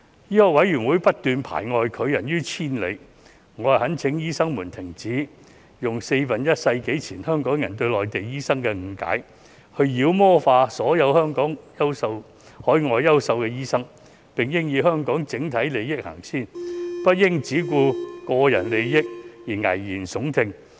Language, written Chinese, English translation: Cantonese, 醫委會不斷排外，拒人於千里，我懇請醫生們停止用四分之一世紀前香港人對內地醫生的誤解，別再把所有海外的優秀醫生妖魔化，並應以香港整體利益先行，不應只顧個人利益而危言聳聽。, MCHK keeps practising exclusivism . I urge doctors to stop using the misconceptions that Hong Kong people had about Mainland doctors a quarter of a century ago and stop demonizing outstanding overseas doctors . They should put the overall interests of Hong Kong first instead of scaremongering for personal interests